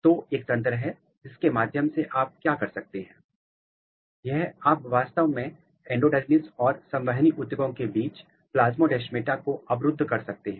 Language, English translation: Hindi, So, there is a mechanism or there is a program through which what you can do, you can actually block the plasmodesmata between endodermis and the vascular tissues